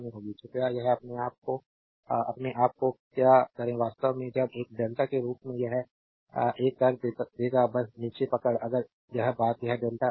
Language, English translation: Hindi, Please do it of your own right please do it of your own actually when will make this one as a delta just hold down if you this thing this is this is delta know